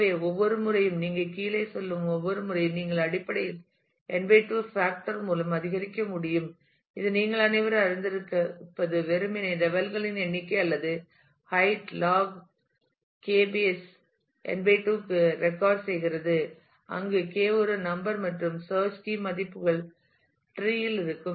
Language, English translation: Tamil, So, every time you every level you go down you can basically increasing by a factor of n/2, which as you all know simply means that the number of levels or the height is log K to the base n/2, where K is a number of search key values that exist on the tree